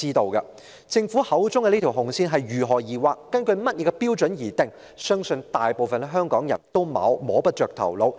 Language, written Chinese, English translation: Cantonese, 對於政府口中的"紅線"是如何界定，是根據甚麼標準來設定，我相信大部分香港人也摸不着頭腦。, Regarding the red lines mentioned by the Government I believe most of the people of Hong Kong have no idea how the red lines are defined and on what criteria they are drawn